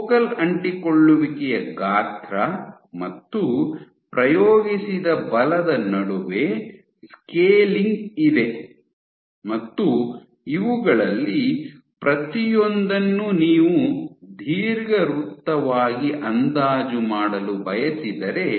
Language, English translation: Kannada, So, there is a scaling between the size of the focal adhesion and the force, also if you want to approximate each of these as an ellipse